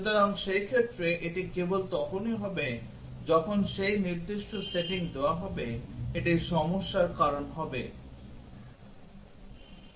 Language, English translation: Bengali, So, in that cases it would only when those specific settings are given it would cause the problem